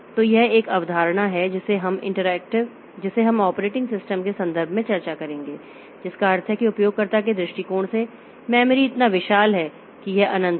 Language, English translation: Hindi, So, this is another concept that we will discuss in the context of this operating system which means that the memory from the user's view point so, so it becomes so huge that this is infinite